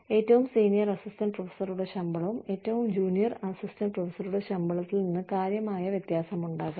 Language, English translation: Malayalam, The salary of the senior most assistant professor, could be significantly different from, the salary of the junior most assistant professor